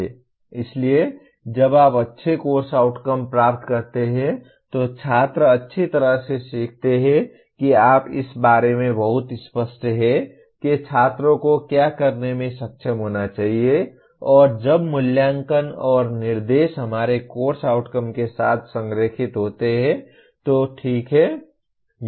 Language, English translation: Hindi, So students learn well when you have good course outcomes that you are very clear about what the students should be able to do and when assessment and instruction are in alignment with the, our course outcomes, okay